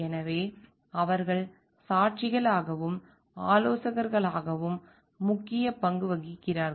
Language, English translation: Tamil, So, they have a major role to play as witnesses and advisers